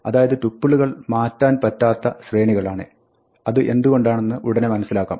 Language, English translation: Malayalam, So, tuples are immutable sequences, and you will see in a minute why this matters